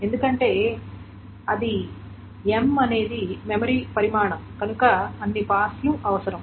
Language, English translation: Telugu, Because that's the, m is the memory size, so that many passes are required